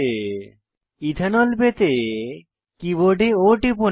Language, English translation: Bengali, To obtain Ethanol, press O on the keyboard